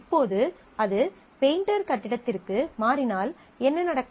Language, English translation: Tamil, Now, what will have to happen if it moves to painter building